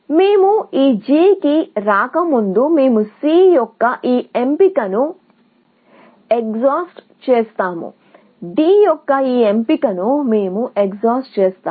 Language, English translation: Telugu, Before we come to this G, we will exhaust this option of C, we will exhaust this option of D, and we will exhaust; yes, only these two options, you have to exhaust